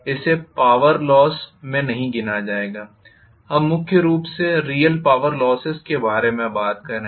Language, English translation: Hindi, It will not be counted into the power loss; we are talking mainly about the real power losses